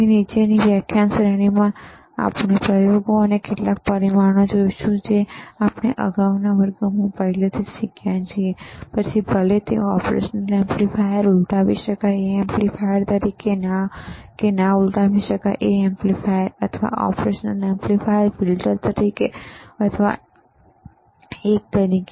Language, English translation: Gujarati, So, in the following lectures series, we will see experiments, and several parameters that we have already learnedt in the previous classes, whether it is operational amplifier you have to use a operational amplifier, as an inverting amplifier or it is a non inverting amplifier, or we talk operation amplifier as a filter or we talk operation amplifier as an oscillator